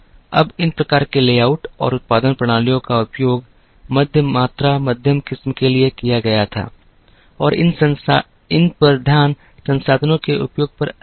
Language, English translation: Hindi, Now, these types of layouts and production systems were used for middle volume middle variety and the focus on these were more on utilization of resources